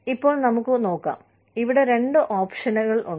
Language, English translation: Malayalam, Now, let us see, there are two options here